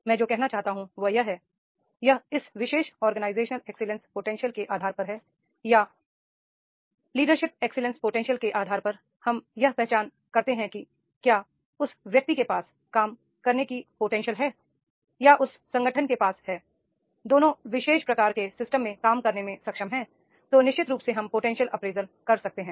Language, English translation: Hindi, What I want to say is this, that is on the basis of this particular organizational excellence potential or on the basis of the leadership excellence potential, we can identify that is the whether the individual is having that potential to work or that is the organization which is having a potential to work